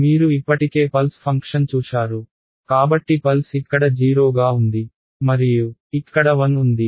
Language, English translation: Telugu, The pulse function which you already saw right so the pulse was right it is 0 over here and 1 over here